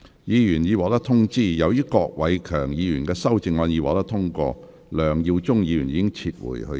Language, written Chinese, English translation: Cantonese, 議員已獲通知，由於郭偉强議員的修正案獲得通過，梁耀忠議員已撤回他的修正案。, Members have already been informed that as Mr KWOK Wai - keungs amendment has been passed Mr LEUNG Yiu - chung has withdrawn his amendment